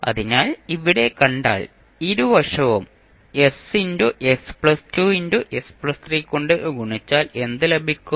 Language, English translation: Malayalam, So, if you see here, if you multiply both sides by s into s plus 2 into s plus 3, so what you will get